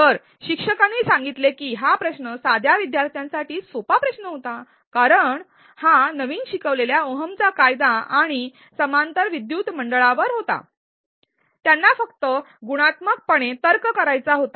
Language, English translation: Marathi, Whereas the instructor commented that the question was easy for students since they knew Ohm's law, series and parallel circuits and all they had to do was to reason quantitatively